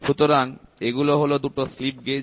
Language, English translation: Bengali, So, these are the 2 slip gauges